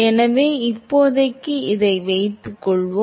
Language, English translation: Tamil, So, let us assume for now